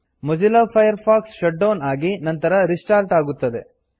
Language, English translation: Kannada, Mozilla Firefox will shut down and restart